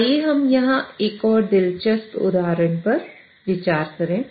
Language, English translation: Hindi, Let us consider a more interesting example here